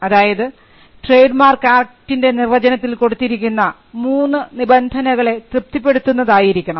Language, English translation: Malayalam, First, it should conform to the definition of trademark under the act and it should satisfy the 3 conditions provided in the definition